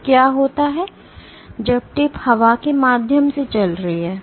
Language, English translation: Hindi, So, what happens when the tip is traveling through air